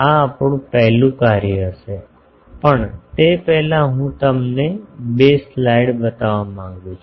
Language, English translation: Gujarati, This will be our first task, but before that I will want to show you two slides